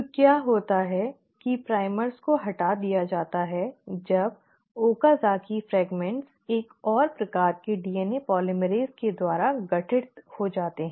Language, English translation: Hindi, So what happens is the primers get removed after the Okazaki fragments have been formed by another type of DNA polymerase